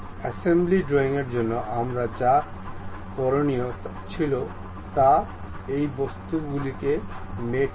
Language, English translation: Bengali, For assembly drawing, what we have to do is mate these objects